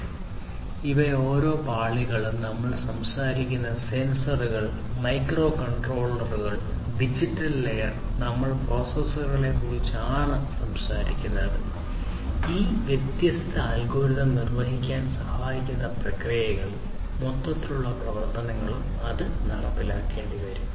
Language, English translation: Malayalam, So, in each of these layers; so physical layer we are talking about sensors, microcontrollers; digital layer we are talking about processors, which can help in execution of these different algorithms the in the processes overall the functionalities, that will have to be implemented